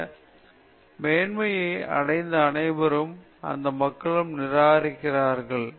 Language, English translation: Tamil, All people who have achieved this greatness also, those people also have rejections